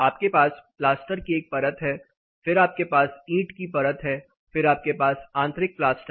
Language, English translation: Hindi, You have a layer of pasture, then you have the brick layer, then you have the internal plaster